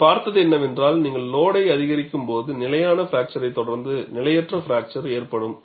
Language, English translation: Tamil, What we have seen, when you increase the load you will have a stable fracture, followed by unstable fracture